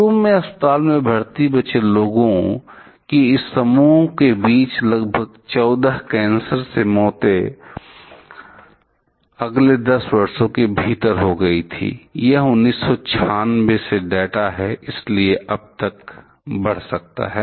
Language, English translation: Hindi, Approximately 14 cancer deaths among this group of initially hospitalized survivors were to follow within next 10 years I should say; this is the data from 1996, so; it might have increased by now